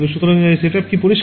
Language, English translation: Bengali, So, is the set up clear